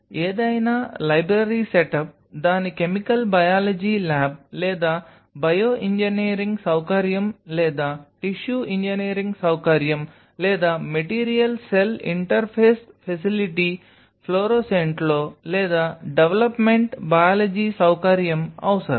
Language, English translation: Telugu, Any library setup its a chemical biology lab or a bioengineering facility or a tissue engineering facility or a development biology facility in or by material cell interface facility fluorescent will be essential